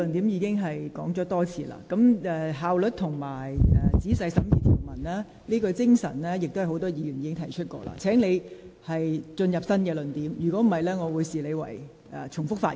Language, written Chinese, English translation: Cantonese, 有關效率和仔細審議條文的精神，剛才已有多位議員提及，請你提出新的論點，否則我會視之為重複發言。, The points about efficiency and the spirit of examining provisions in detail have been mentioned by a number of Members earlier . Please put forth new arguments otherwise you will be regarded as making repetition